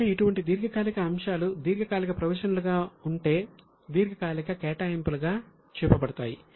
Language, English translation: Telugu, So, such long term items are shown as long term provisions